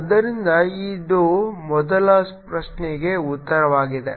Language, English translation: Kannada, so this is the answer for the first questions